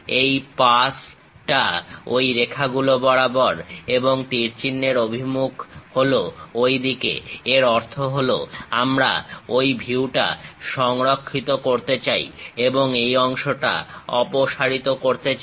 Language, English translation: Bengali, This pass through these lines and arrow direction is in that way; that means we want to preserve that view and remove this part